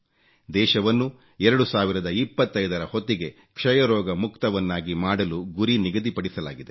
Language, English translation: Kannada, A target has been fixed to make the country TBfree by 2025